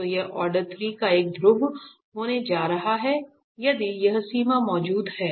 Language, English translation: Hindi, So, this is going to be a pole of order 3 if this limit exist